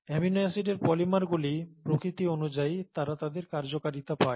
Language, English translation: Bengali, So by the very nature of the polymers of amino acids they get their function